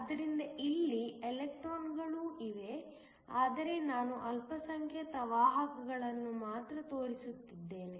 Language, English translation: Kannada, So, there are also electrons in here, but I am only showing the minority carriers